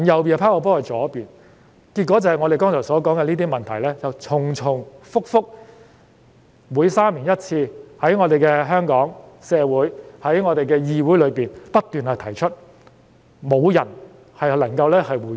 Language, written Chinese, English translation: Cantonese, 結果便是我剛才提到的問題重重複複，每3年1次在香港社會和議會中被提出，但卻沒有人能夠回應。, The problem just keeps coming back being raised in our society and this Council every three years without receiving any response